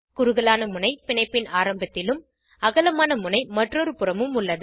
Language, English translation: Tamil, Narrow end is at the start of the bond and broad end is at the other end